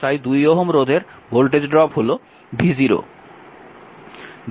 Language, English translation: Bengali, So, and voltage across 2 ohm resistance is v 0